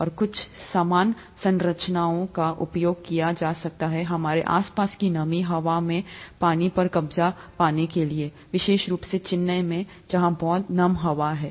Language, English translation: Hindi, And, some similar structures can be used to capture water from, like the humid air around us, especially in Chennai it's very humid